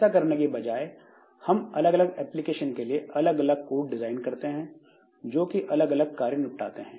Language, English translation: Hindi, So, instead of that we design different different codes for different different applications